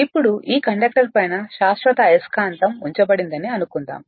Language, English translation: Telugu, Now the suppose a permanent magnet is placed on the top of this conductor